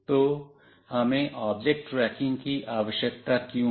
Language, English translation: Hindi, So, why do we need object tracking